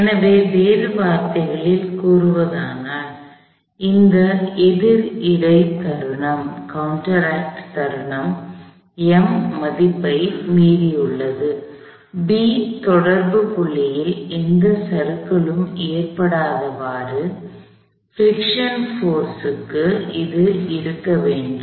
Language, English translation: Tamil, So, in other words, this counter acting moment M has exceeded the value; that is below which it needs to stay for the friction force to cos know slip at the point of contact B